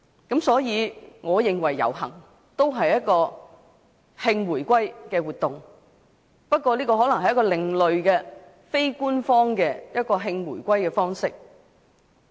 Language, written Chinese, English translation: Cantonese, 因此，我認為遊行也是一項慶回歸活動，只不過是另類的、非官方的慶回歸方式。, Hence I consider the march a celebration of the reunification just that it is an alternative and unofficial way of celebration